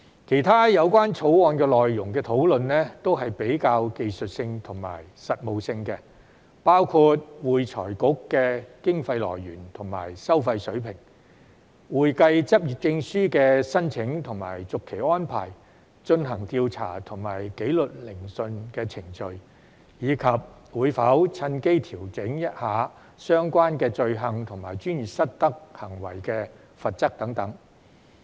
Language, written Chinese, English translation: Cantonese, 其他有關《條例草案》內容的討論均比較技術性和實務性，包括會財局的經費來源和收費水平、會計執業證書的申請和續期安排、進行調查和紀律聆訊的程序，以及會否趁機調整相關罪行和專業失德行為的罰則等。, Other discussions on the contents of the Bill are more technical and practical including the source of funding and fee levels of AFRC the application for and renewal of practising certificate procedures for conducting investigations and disciplinary hearings and whether the opportunity will be taken to adjust the penalty for related offences and professional misconduct